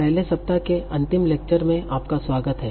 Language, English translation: Hindi, Welcome back to the final lecture of the first week